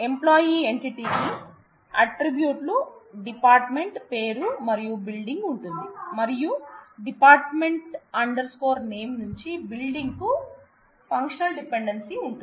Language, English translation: Telugu, So, an employee entity has attributes department name and building, and there is a functional dependency from department name to building